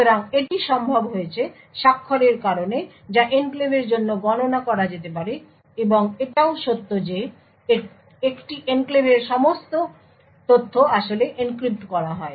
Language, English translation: Bengali, So, this is made a possible because of the signature’s which can be computed up for the enclave and also the fact the all the information in an enclave is actually encrypted